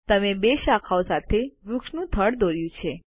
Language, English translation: Gujarati, You have drawn a tree trunk with two branches